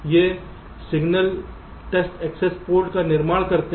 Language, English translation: Hindi, so actually these will be the test access port signals